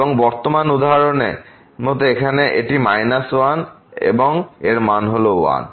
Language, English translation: Bengali, Like in this present example here it is value minus 1 and here the value is 1